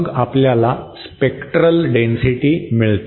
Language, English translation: Marathi, Then we get what is known as the spectral density